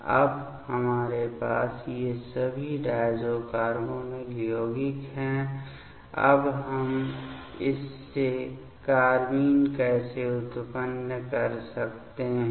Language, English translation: Hindi, Now, we have all these diazo carbonyl compounds; now how we can generate the carbenes from this